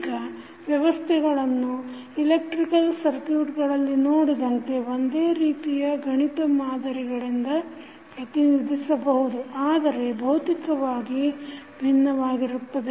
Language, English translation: Kannada, Now, the systems can be represented by the same mathematical model as we saw in case of electrical circuits but that are physically different